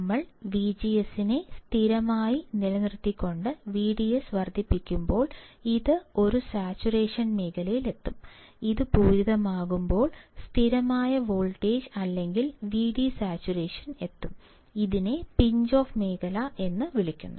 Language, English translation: Malayalam, For constant V G S when we increase V D S, it will reach to a saturation region; when it starts saturating, the constant voltage or V D saturation, it also called the Pinch off region